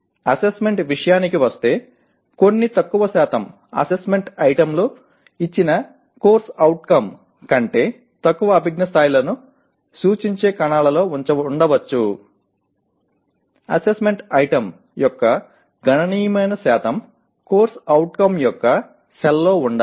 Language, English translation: Telugu, Coming to assessment while some small percentage of assessment items can be in cells representing lower cognitive levels less than that of a given CO significant percentage of assessment item should be in the same cell as that of CO